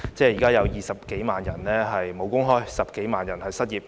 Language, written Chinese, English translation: Cantonese, 現在有20多萬人"無工開"、10多萬人失業。, Currently more than 200 000 people are out of job and over 100 000 people have become unemployed